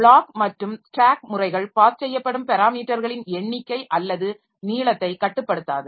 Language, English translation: Tamil, And block and stack methods do not limit the number or length of parameters being passed